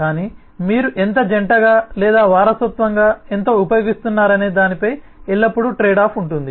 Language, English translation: Telugu, but there is always a trade off in terms of how much you couple or how much you use the inheritance of